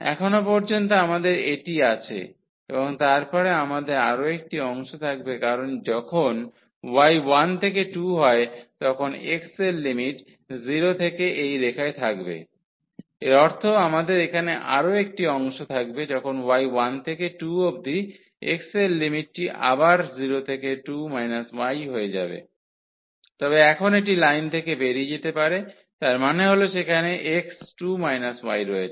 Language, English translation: Bengali, So, up to this point we have this and then we will have one more part because when y goes from 1 to 2, then the limits of x will be from 0 to this line; that means, we will have another part here when y goes from 1 to 2 the limits of x will be again from 0 to, but now it exists exit from the line; that means, there x is 2 minus y